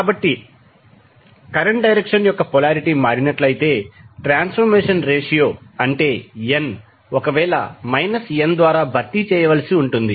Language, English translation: Telugu, So, if the polarity of the direction of the current changes, the transformation ratio, that is n may need to be replaced by minus n